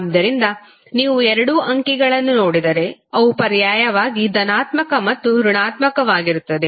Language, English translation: Kannada, So if you see both of the figures they are going to be alternatively positive and negative